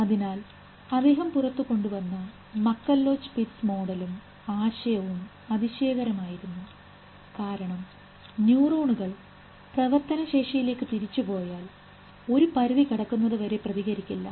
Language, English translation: Malayalam, So what he brought out the MacCulloch Bit model that a, and the idea was brilliant because neurons, if you go back at the action potential, they do not fire till a threshold is crossed